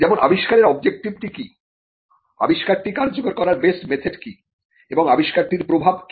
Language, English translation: Bengali, Like, what is the object of the invention, what is the best method of working the invention and what is the impact of the invention